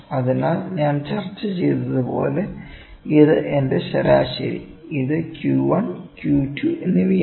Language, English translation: Malayalam, Hence, as I discussed this is my median and this is Q 1 and Q 2